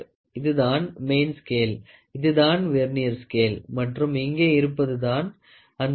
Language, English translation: Tamil, So, this is the main scale and this is the Vernier scale or here is that screw